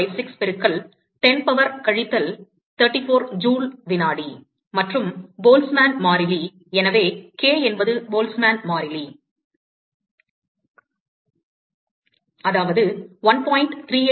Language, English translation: Tamil, 6256 into 10 power minus 34 joule second, and Boltzmann constant so, k is Boltzmann constant, that is 1